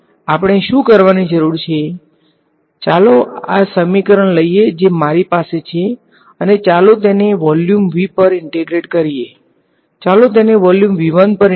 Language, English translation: Gujarati, So, to introduce that integral what we need to do is, let us take this equation that I have and let us integrate it over volume V let us, so, let us integrate it over volume V 1 ok